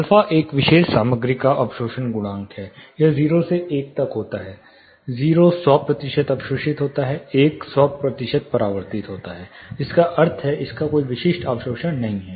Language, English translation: Hindi, (Refer Slide Time: 01:57) Alpha is the absorption coefficient of a particular material, it ranges from 0 to 1; 0 is 100 percent absorbing 0 is 100 percent reflecting; that is does not have any specific absorption